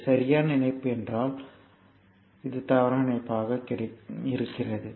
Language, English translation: Tamil, So, this is a valid connection so, but this is invalid connection